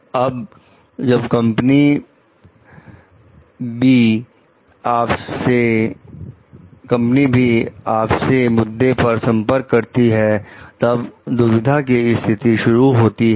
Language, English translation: Hindi, Now, when company B contacts you with the same issue, then their dilemma starts